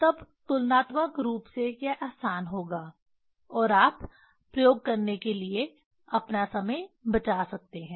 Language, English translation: Hindi, Then comparatively it will be easy and you will you can save your time to do the experiment